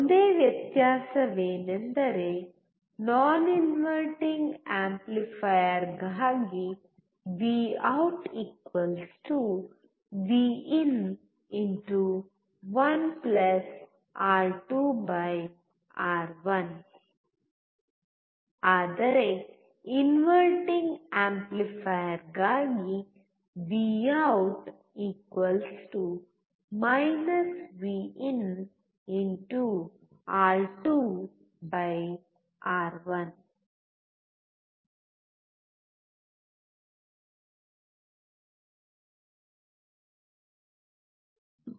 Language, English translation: Kannada, The only difference is: for non inverting amplifier, Vout=Vin*(1+(R2/R1)); whereas it was Vout= Vin*(R2/R1) for the inverting amplifier